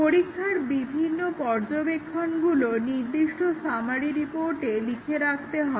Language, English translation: Bengali, The test observations are to be written down in a test summary report